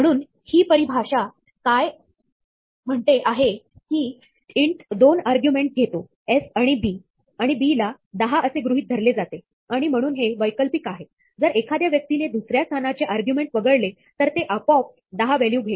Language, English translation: Marathi, So, what this definition says is that, int takes 2 arguments s and b and b is assumed to be 10, and is hence, optional; if the person omits the second argument, then it will automatically take the value 10